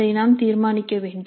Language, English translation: Tamil, So that we will have to decide